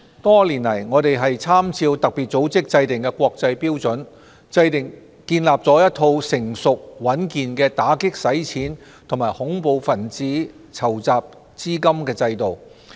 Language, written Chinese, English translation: Cantonese, 多年來，我們參照特別組織制訂的國際標準，建立了一套成熟穩健的打擊洗錢及恐怖分子資金籌集制度。, Over the years we have put in place a robust anti - money laundering and counter - financing of terrorism AMLCFT regime having regard to international standards set by FATF